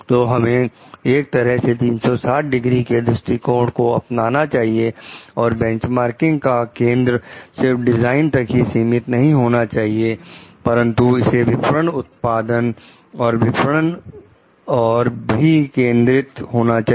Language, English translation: Hindi, So, we have to take a like very 360 degree approach and the focus of benchmarking is not only the design per se, but it is focused on the like the marketing production and marketing